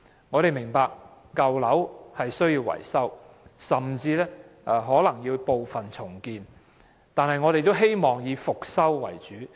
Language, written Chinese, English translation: Cantonese, 我們明白舊樓需要維修，甚至可能需要局部重建，但我們仍希望以復修為主。, We understand that old buildings require maintenance or even partial redevelopment yet we still hope that rehabilitation can be made the mainstay